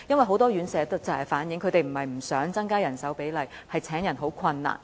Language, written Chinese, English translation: Cantonese, 很多院舍反映，它們不是不想增加人手比例，而是難於請人。, As reflected by many care homes rather than not willing to increase the staff - to - resident ratio they actually find it difficult to employ staff